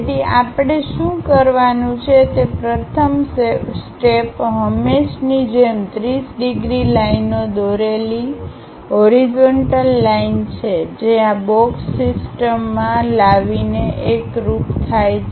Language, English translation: Gujarati, So, the first step what we have to do is as usual, a horizontal line draw 30 degrees lines, that coincides by bringing this box into the system